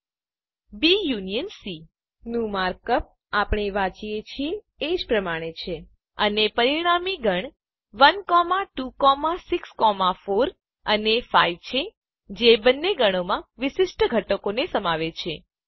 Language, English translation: Gujarati, The mark up for B union C is the same as we read it and the resulting set is 1, 2, 6, 4, and 5, which includes all the distinct elements in both sets